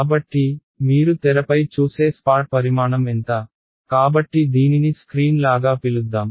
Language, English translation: Telugu, So, what is the size of the spot that you will see on the screen, so let us call this is as a screen